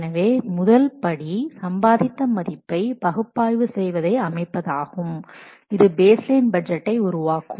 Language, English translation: Tamil, So the first step in setting upon and value analysis is create a baseline budget